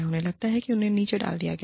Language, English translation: Hindi, They feel, that they have been put down